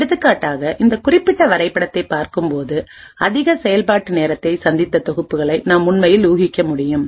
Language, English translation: Tamil, For example looking at this particular plot we can actually infer the sets which had incurred a high execution time